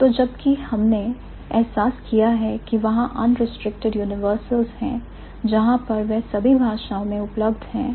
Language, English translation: Hindi, So, since we realize there are unrestricted universals where they are available in all the languages